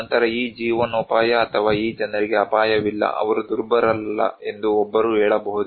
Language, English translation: Kannada, Then, one can say that this livelihood or these people are not at risk, they are not vulnerable